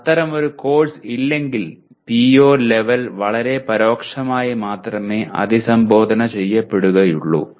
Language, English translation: Malayalam, But if there is no such course, the PO level only gets addressed possibly very indirectly